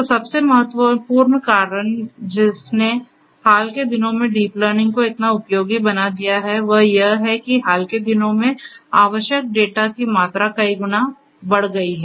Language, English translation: Hindi, So, the most important reasons that have made deep learning so useful in the recent times is, that only in the recent times, only in the recent times